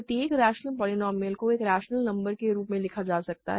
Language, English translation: Hindi, Every rational polynomial can be written as a rational number